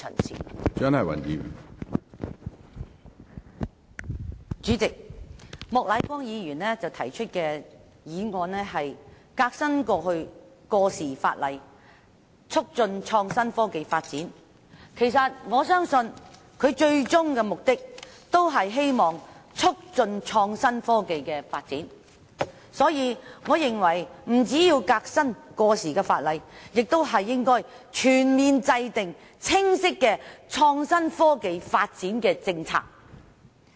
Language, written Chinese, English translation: Cantonese, 主席，莫乃光議員提出"革新過時法例，促進創新科技發展"的議案，我相信他最終的目的是希望促進創新科技的發展，所以，我認為不僅要革新過時的法例，亦應全面制訂清晰的創新科技發展政策。, President Mr Charles Peter MOK proposed the motion on Reforming outdated legislation and promoting the development of innovation and technology . I believe his ultimate aim is to promote the development of innovation and technology . Hence I consider that it is necessary not only to reform outdated legislation